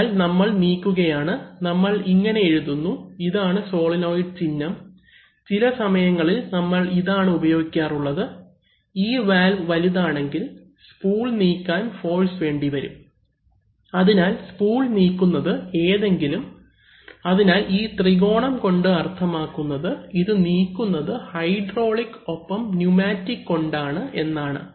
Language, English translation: Malayalam, So, we may be moving, if we write like this, this is a solenoid symbol, sometimes we may be using, if there are, if these valves are big it requires force to move the spool, so the spool maybe moved by either, so this triangle means they are moved by hydraulics and pneumatics, if this is filled up, this is a hydraulically moved spool